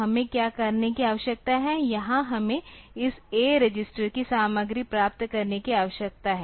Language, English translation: Hindi, So, what we need to do is, here we need to get the content of this A register